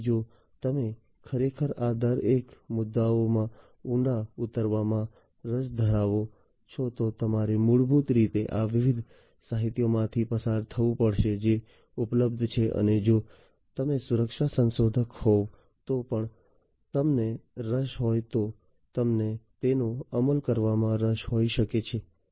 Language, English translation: Gujarati, So, if you are indeed interested to deep to drill deep down into each of these issues you have to basically go through these different literatures that are available and if you are also interested if you are a security researcher you might be interested to implement them